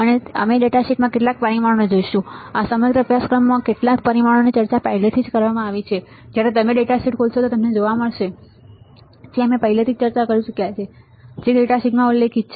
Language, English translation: Gujarati, And we will we will see some of the parameters in the data sheet, few of the parameters are already discussed in this entire course you will find it when you open a data sheet lot of parameters we have already discussed which are mentioned in the data sheet